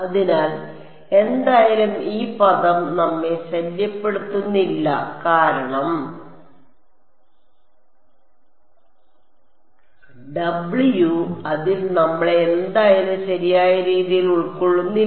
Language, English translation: Malayalam, So, anyway this W f x term does not bother us, because W it does not contain any us inside it in anyway right